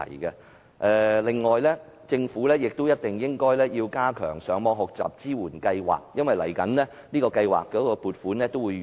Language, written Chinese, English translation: Cantonese, 此外，政府亦必須加強上網學習支援計劃，因為此計劃的撥款協議即將終止。, In addition the Government must enhance the Internet Learning Support Programme because the funding agreement for this programme will soon expire